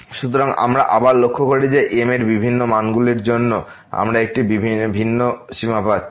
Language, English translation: Bengali, So, what we observe again that for different values of , we are getting a different limit